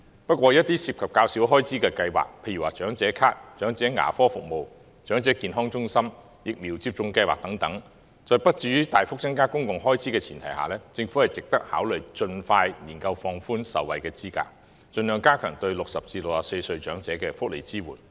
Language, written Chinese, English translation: Cantonese, 不過，一些涉及較少開支的計劃，例如長者咭、長者牙科服務、長者健康中心、疫苗接種計劃等，在不致於大幅增加公共開支的前提下，政府值得考慮盡快研究放寬受惠資格，盡量加強對60歲至64歲長者的福利支援。, However on some programmes involving less in expenditure such as the Senior Citizen Card Elderly Dental Assistance Elderly Health Centres Vaccination Subsidy Scheme etc on the condition that they will not increase public expenditure significantly it is worthwhile for the Government to examine relaxing the eligibility as soon as possible to strengthen welfare support for elderly persons aged between 60 and 64 by all means